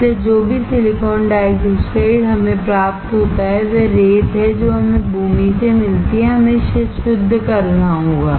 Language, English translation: Hindi, So, from whatever silicon dioxide we get, that is sand we get from the land, we have to purify it